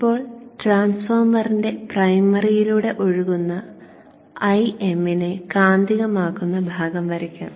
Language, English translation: Malayalam, Now let me draw the magnetizing part for a M that is flowing through the primary of the transformer